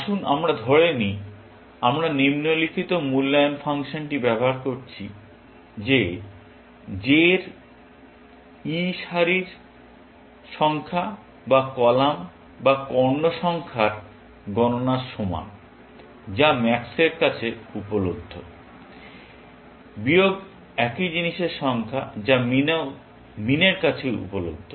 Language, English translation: Bengali, Let us assume that we are using this following evaluation function, that e of j is equal to count of the number of rows, or columns, or diagonals; available to max, minus the number of the same thing, available to min